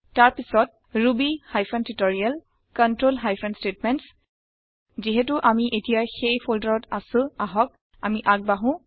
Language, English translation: Assamese, Then to ruby hyphen tutorial control hyphen statements Now that we are in that folder, lets move ahead